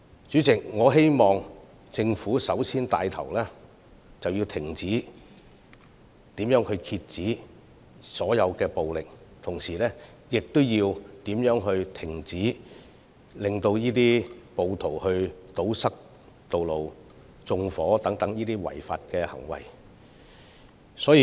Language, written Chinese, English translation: Cantonese, 主席，我希望政府首先能夠牽頭遏止所有暴力，同時亦要制止暴徒堵塞道路或縱火等違法行為。, President I hope that the Government can lead the task of stopping all forms of violence before all else . At the same time it should also stop rioters from committing such unlawful acts as road blockade and arson